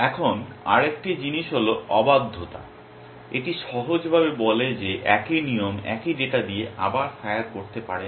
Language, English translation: Bengali, Now, one more thing is refractoriness, this simply says that a same rule cannot fire with the same data again essentially